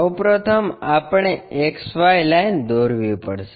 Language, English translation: Gujarati, First of all we have to draw XY line